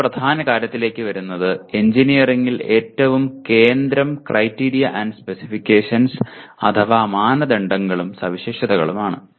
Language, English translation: Malayalam, Coming to another important one in my opinion most central to engineering is criteria and specifications